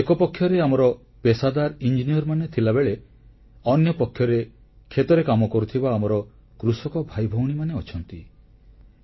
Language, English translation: Odia, On one hand, where we have professionals and engineers, on the other hand, there exist farmers tilling the fields, our brethrensisters associated with agriculture